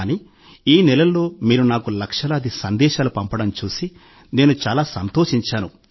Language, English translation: Telugu, But I was also very glad to see that in all these months, you sent me lakhs of messages